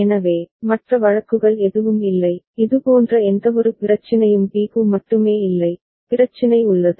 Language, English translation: Tamil, So, none of the other cases, there is any such issue only for b, there is the issue